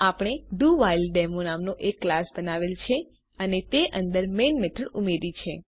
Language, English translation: Gujarati, We have created a class DoWhileDemo and added the main method to it